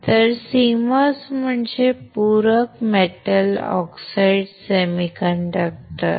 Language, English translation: Marathi, So, CMOS stands for complementary metal oxide semiconductor